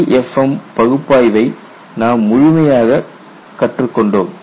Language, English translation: Tamil, We have learnt exhaustively LEFM analysis